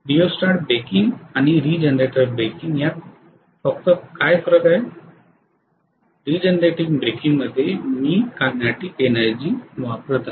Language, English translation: Marathi, Only difference between rheostatic breaking and regenerative breaking is, regenerative breaking I am utilizing the kinetic energy